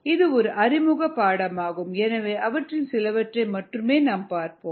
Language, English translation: Tamil, this is ended in an introductory course, so will see only some of them